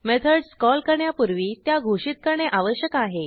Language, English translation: Marathi, Methods should be defined before calling them